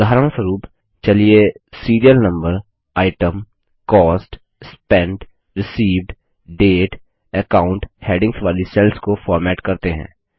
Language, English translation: Hindi, For example, let us format the cells with the headings Serial Number, Item, Cost, Spent, Received, Dateand Account